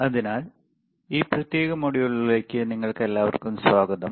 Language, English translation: Malayalam, So, welcome for to all of you for this particular module